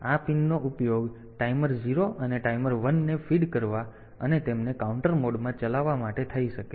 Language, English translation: Gujarati, So, this pins can be used for feeding the timer 0, and timer 1 and operating them in the counter mode